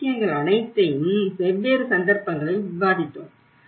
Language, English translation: Tamil, So all these things, we did discussed in different cases